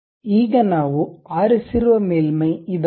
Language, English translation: Kannada, Now, this is the surface what we have picked